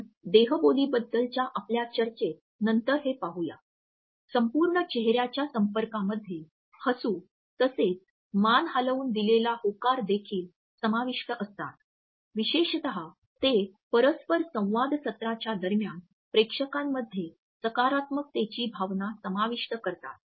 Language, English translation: Marathi, As we would see later on in our discussions of body language, the whole face contact which in corporates the smiles as well as nods depending on the content also incorporates a feeling of positivity among the audience particularly during the interaction sessions